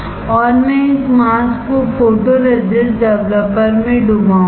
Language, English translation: Hindi, And I will dip this mask in photoresist developer